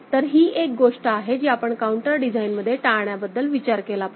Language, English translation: Marathi, So, this is something which we should think of avoiding in a counter design right